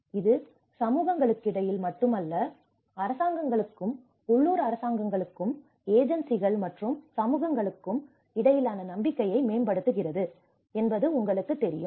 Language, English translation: Tamil, You know it builds trust not only between the communities, it also empowers trust between the governments and the local governments and the agencies and the communities